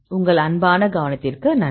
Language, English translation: Tamil, Thanks for your kind attention